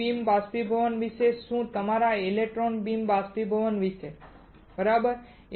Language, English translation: Gujarati, What about E beam evaporation what about your electron beam evaporation right